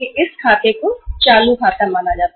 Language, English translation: Hindi, It is this account is considered as a current account